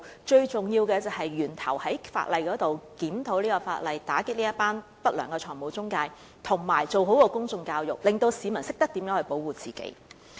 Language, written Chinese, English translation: Cantonese, 最重要的是在源頭檢討法例，打擊不良的財務中介，以及做好公眾教育，令市民懂得保護自己。, The most important of all is to review the legislation at source as a means of combating unscrupulous financial intermediaries and to properly conduct public education for the purpose of enabling people to know how to protect themselves